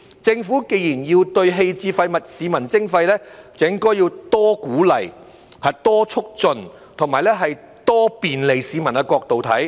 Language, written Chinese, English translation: Cantonese, 政府既然要對棄置廢物向市民徵費，就應從多鼓勵、多促進和多便利市民的角度來看。, As the Government is going to charge the public on waste disposal it should look at it from the perspective of providing more incentive facilitation and convenience for the public